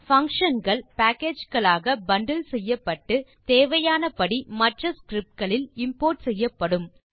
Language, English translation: Tamil, Functions are bundled into packages and are imported as and when required in other scripts